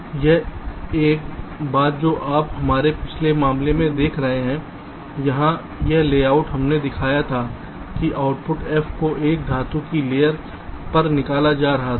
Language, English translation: Hindi, so now one thing: you just see, in our previous case, this layout here, we had shown that the output f was being taken out on a metal layer